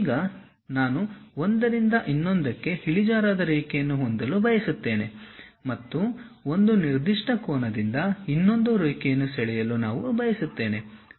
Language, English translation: Kannada, Now, I would like to have an inclined line from one to other and I would like to draw one more line with certain angle